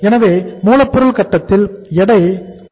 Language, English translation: Tamil, So weight at the raw material stage was 0